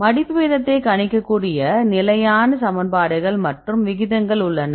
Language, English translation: Tamil, So, we have a standard equations we can predict the folding rates fine